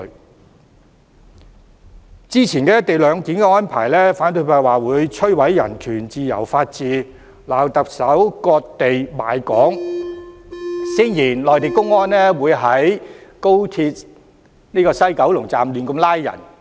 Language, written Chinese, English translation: Cantonese, 對於早前的"一地兩檢"安排，反對派指會摧毀人權、自由和法治，批評特首"割地賣港"，聲言內地公安會在高鐵西九龍站胡亂作出拘捕。, Concerning the co - location arrangement previously the opposition camp claimed that it would destroy human rights freedom and the rule of law . They criticized the Chief Executive for ceding territory and selling out Hong Kong and claimed that public security officers of the Mainland would make arbitrary arrests in the West Kowloon Terminus of the Express Rail Link